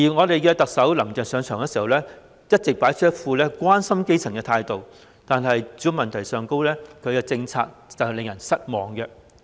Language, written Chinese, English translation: Cantonese, 特首"林鄭"上場後一直擺出一副關心基層的態度，但她對住屋問題的政策卻令人感到失望。, Chief Executive Carrie LAM has always posed herself as caring for the grass roots since her assumption of office but her housing policy is rather disappointing